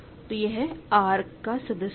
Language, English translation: Hindi, So, this is in R